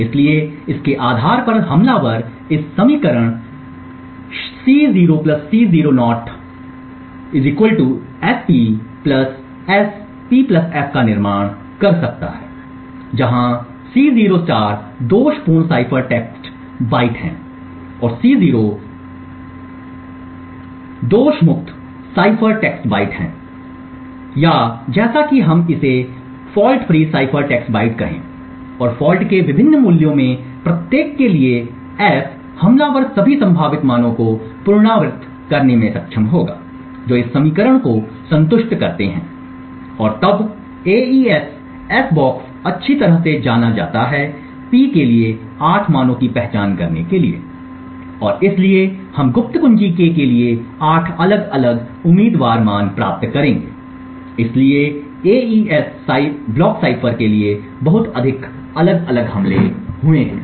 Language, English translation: Hindi, So, based on this the attacker can build this equation C0 + C0* = S[P] + S[P + f], where C0* zero star is the faulty cipher text byte and C0 is the correct cipher text byte or as we call it the fault free cipher text byte and for each of the different values of the fault, f the attacker would be able to iterate all possible values that satisfy this equation and then as the AES s box is well known we would then be able to identify 8 values for P and therefore we would obtain 8 different candidate values for the secret key k, so there have been a lot more different attacks for the AES block cipher